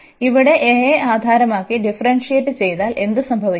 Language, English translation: Malayalam, But, if we differentiate here with respect to a, then what will happen